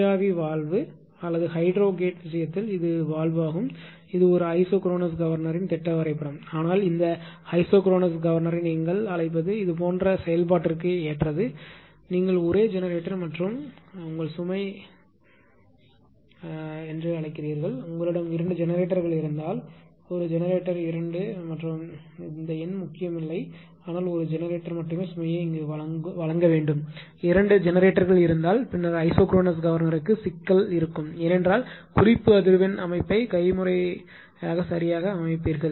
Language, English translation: Tamil, And this is valve in the case of steam valve or gate position in the case of hydrogate this is a schematic diagram of an isochronous governor right, but this ico isochronous governor is your what you call it is suitable for such kind of ah operation when only it is your what only one generator and it is ah your what you call supplying ah your what you call load right, if you have two generators if one generator two and n number of generator does not matter , but only one generator has to supply the load if there are two generators, then there will be problem for isochronous governor because you will set certain things the reference ah frequency setting manually right